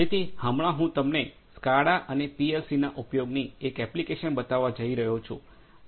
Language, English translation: Gujarati, So, right now I am going to show you one of the applications of the use of SCADA and PLC